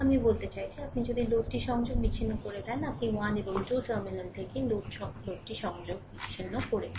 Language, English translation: Bengali, I mean, if you disconnected the load; you have disconnected the load from the terminal 1 and 2